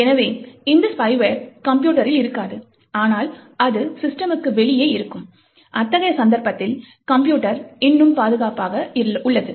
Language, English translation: Tamil, So, these spyware may not be present in the system, but it will be outside the system, and in such a case the system is still secure